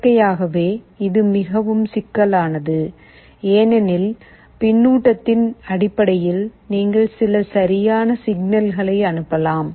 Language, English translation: Tamil, Naturally, this is more sophisticated because, based on the feedback you can send some corrective signal